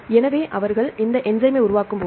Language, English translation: Tamil, So, when they form this enzyme